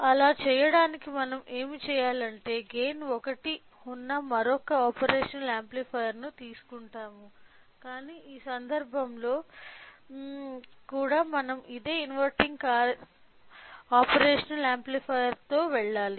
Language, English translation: Telugu, So, in order to do that what we do is that we will take another operational amplifier with a gain of 1, but in even in this case we have to go with same inverting operational amplifier